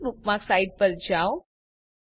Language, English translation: Gujarati, * Go to the last bookmarked site